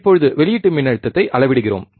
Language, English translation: Tamil, Now, we are measuring the output voltage